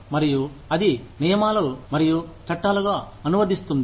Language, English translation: Telugu, And, that in turn, translates into rules and laws